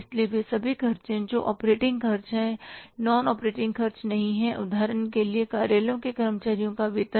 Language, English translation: Hindi, So all those expenses which are not operating expenses, non operating expenses, for example, salaries of the office employees